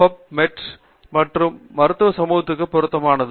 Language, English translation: Tamil, PubMed is relevant for the medical community